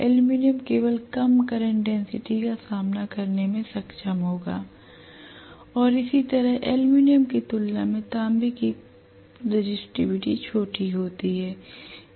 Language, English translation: Hindi, Aluminum will be able to withstand a lower current density only and similarly the resistivity of copper is smaller as compare to aluminum